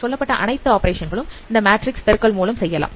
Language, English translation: Tamil, So we can perform all these operations simultaneously using this matrix multiplications